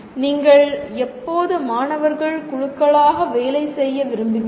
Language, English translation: Tamil, And when do you actually want to work students in groups